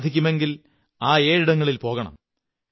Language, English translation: Malayalam, If possible, one must visit these seven places